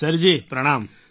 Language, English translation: Gujarati, Sir ji Pranaam